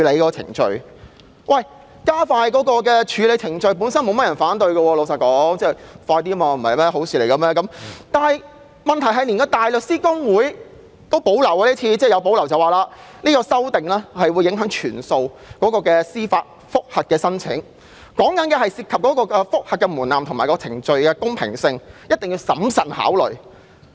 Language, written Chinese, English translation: Cantonese, 老實說，加快處理程序本身並沒有人會反對，因為這是好事，但問題是今次連香港大律師公會也表示有所保留，指有關修訂會影響所有司法覆核申請，涉及覆核門檻和程序的公平性，必須審慎考慮。, Frankly speaking no one will object to the idea of speeding up the processing procedures because this is after all a good thing . But the problem is that even the Hong Kong Bar Association has expressed reservation about the proposed amendments pointing out that the amendments will affect all judicial review applications and involve the threshold of judicial review and the fairness of the procedures concerned